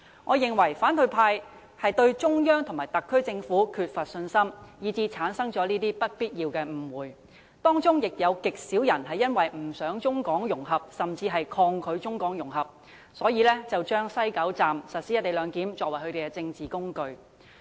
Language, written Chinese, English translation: Cantonese, 我認為反對派對中央政府和特區政府缺乏信心，以致產生這些不必要的誤會，當中亦由於有極少數人不想甚至抗拒中港融合，因而把西九龍站實施"一地兩檢"安排當作他們的政治工具。, In my opinion the opposition camp lacks confidence in the Central Government and SAR Government and this may be the cause all such unnecessary misunderstandings . A very few of them have also used the co - location arrangement proposed to be implemented at West Kowloon Station as a political tool to resist Hong Kongs integration with the Mainland